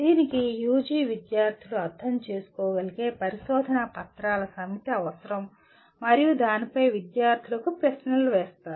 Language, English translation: Telugu, It requires collection of a set of research papers that can be understood by the UG students and then posing a set of questions on that to the students